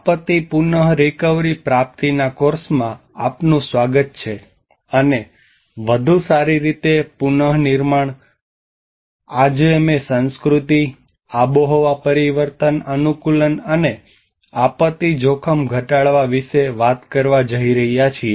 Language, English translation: Gujarati, Welcome to the course disaster recovery and build back better, today we are going to talk about culture, climate change adaptation and disaster risk reduction